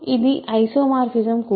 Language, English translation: Telugu, It is also an isomorphism